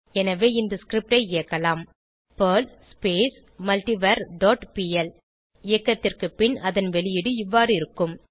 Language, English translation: Tamil, So we can execute the script as perl multivar dot pl On execution the output will look like this